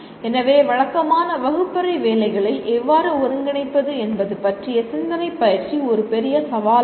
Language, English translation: Tamil, So thoughtful practice how to integrate into the regular classroom work is a major challenge